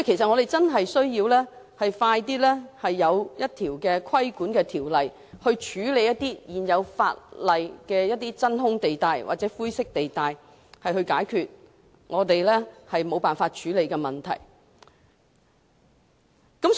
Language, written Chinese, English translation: Cantonese, 我們確實需要盡快立法規管，從而處理現有法例的真空或灰色地帶，解決我們一直無法處理的問題。, It is indeed necessary for us to expeditiously enact legislation to regulate and handle the vacuum or grey areas in the existing legislation as well as resolve the problems which we have been unable to handle